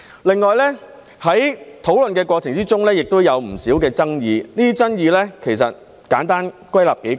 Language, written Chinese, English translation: Cantonese, 另外，在討論的過程中，也有不少爭議，這些爭議可簡單歸納為數點。, Besides during the course of discussion there has been much controversy which can be briefly summarized into a few points